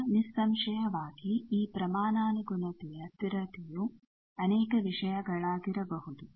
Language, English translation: Kannada, Now obviously, this proportionality constant can be many things